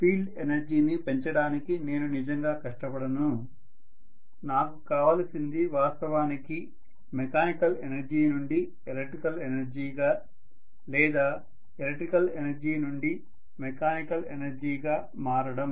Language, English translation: Telugu, I am not going to really strive hard to increase the field energy, what I want is actually conversion from mechanical energy to electrical energy or electrical energy to mechanical energy